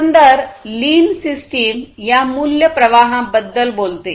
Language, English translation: Marathi, So, the overall lean system talks about this value, value streams